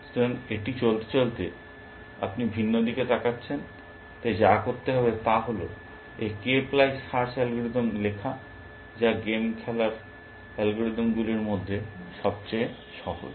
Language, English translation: Bengali, So, as it goes along, you are looking at different, so all that remains to do is to write this k ply search algorithm that is the simplest of game playing algorithms